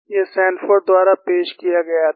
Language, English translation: Hindi, This was pointed out by Sanford